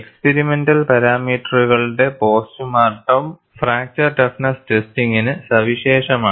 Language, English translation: Malayalam, Post mortem of the experimental parameters is unique to fracture toughness testing